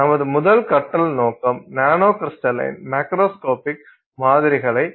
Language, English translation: Tamil, Our first learning objective is how to make macroscopic samples that are nanocrystalline